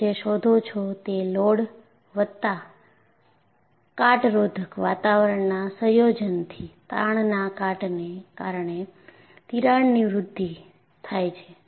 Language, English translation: Gujarati, So, what you find is, combination of a load plus corrosive environment has precipitated crack growth, due to stress corrosion cracking